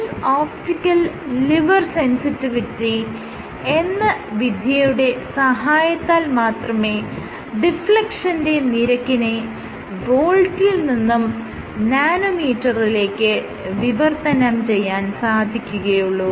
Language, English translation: Malayalam, So, you can have to use something called inverse optical lever sensitivity to translate volts to nanometer of deflection